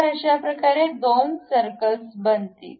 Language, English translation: Marathi, So, two circles are done